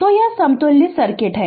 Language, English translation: Hindi, So, this is the equivalent circuit right